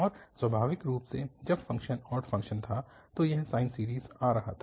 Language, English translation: Hindi, And naturally, when the function was odd function, it was coming sine series